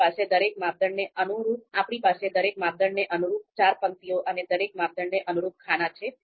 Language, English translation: Gujarati, So we have four rows and corresponding to each criterion and four columns corresponding to again each criterion